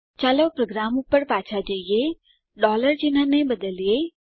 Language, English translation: Gujarati, Lets go back to the program replace the $ sign